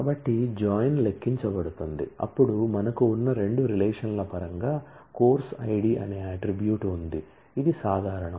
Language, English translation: Telugu, So, in a join is computed, then in terms of the two relations that we have, there is an attribute course id, which is common